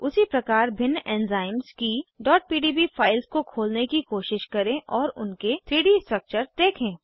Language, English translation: Hindi, Similarly try to open .pdb files of different enzymes and view their 3D structures